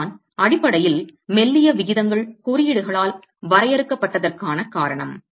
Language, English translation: Tamil, And that is fundamentally the reason why slenderness ratios are limited by codes